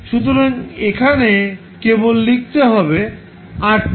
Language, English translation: Bengali, So, you will simply write rth